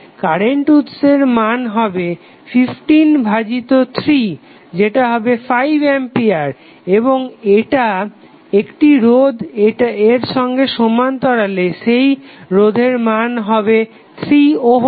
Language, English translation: Bengali, Current source value would be 15 by 3 that is nothing but 5 ampere and in parallel with one resistance that value of resistance would be 3 ohm